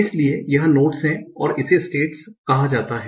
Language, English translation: Hindi, So these are the nodes here are called the states